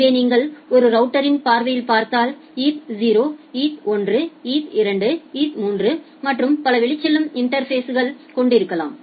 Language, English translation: Tamil, So, if you look into a router perspective you can have multiple outgoing interfaces, like eth 0, eth 1, eth 2, eth 3 and so on